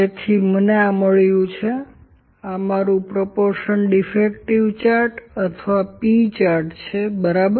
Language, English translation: Gujarati, So, I have got this; this is my proportion defective chart or P chart, ok